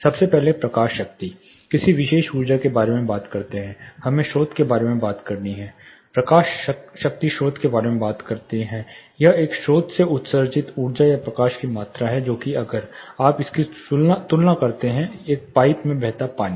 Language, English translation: Hindi, First is light power, any particular energy you talk about, we have to talk about the source, the light power talks about the source it is the amount of energy or light emitted from a source, which is kind of if you compare it with the water flowing in a pipe